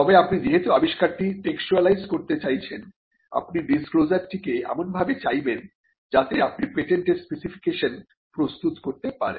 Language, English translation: Bengali, But because you are looking to textualize the invention, you would want the disclosure to be given in a form in which you can prepare the patent specification